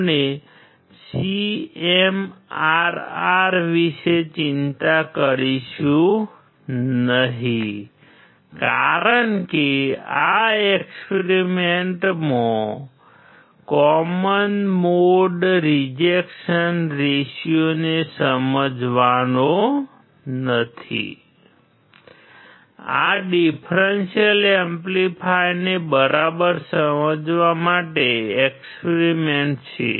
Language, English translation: Gujarati, We will not worry about CMRR because this experiment is not to understand common mode rejection ratio; these are experiment to understand the differential amplifier right